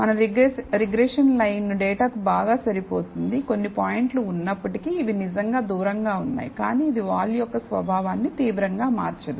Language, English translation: Telugu, So, our regression line fits the data pretty well, though there are some points, which are really away, but it does not change the nature of the slope drastically